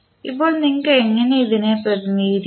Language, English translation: Malayalam, Now, how you will represent